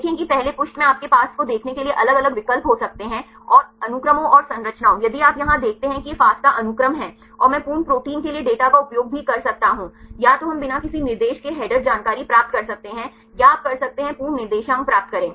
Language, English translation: Hindi, See when in the first page you can have different options to see get the sequences and structures if you see here this is the FASTA sequence and I can also use the data for the full proteins, either we get the header information without coordinates or you can get the full coordinates